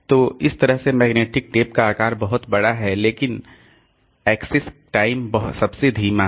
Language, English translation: Hindi, So, that way magnetic tape size is huge but access time is the slowest